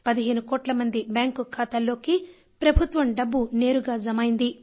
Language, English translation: Telugu, The government money is being directly transferred to the accounts of 15 crore beneficiaries